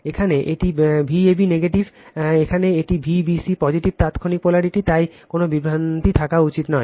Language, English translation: Bengali, Here it is V a b negative, here it is V b c positive instantaneous polarity right so, no there should not be any confusion